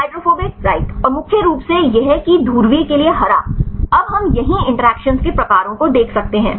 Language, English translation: Hindi, Hydrophobic right and the mainly that the green for the polar right now we can see the type of interactions here right